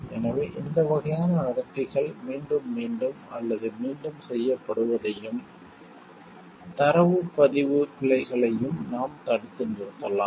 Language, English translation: Tamil, So, that we can like arrest these type of behaviors getting repeated or done again and data recording errors